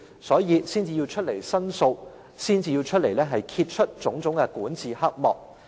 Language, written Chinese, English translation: Cantonese, 所以，他們才要出來申訴，揭穿種種管治黑幕。, They thus presented a petition to review these shady acts of the management